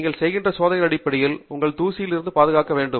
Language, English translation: Tamil, Based on the experiments that you are doing, you may also need to protect yourself from dust